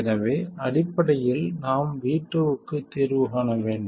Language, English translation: Tamil, So essentially we have to solve for V2